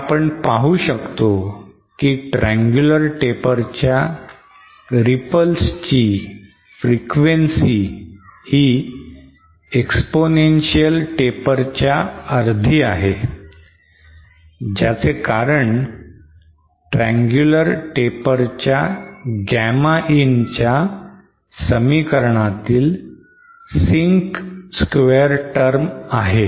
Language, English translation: Marathi, And we see that the frequency of the ripples for the triangular taper is actually half that of the exponential taper and this is because of the presence of the sync square term for this expression Gamma in of the triangular taper